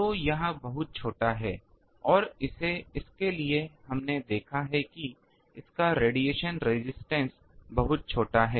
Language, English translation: Hindi, So, it is very small and for that we have seen that it is radiation resistance is very very small